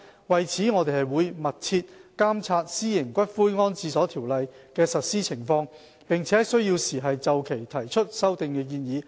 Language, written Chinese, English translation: Cantonese, 為此，我們會密切監察《私營骨灰安置所條例》的實施情況，並在有需要時就《條例》提出修訂建議。, In this connection we will closely monitor the implementation of the Ordinance and introduce an Amendment Bill when necessary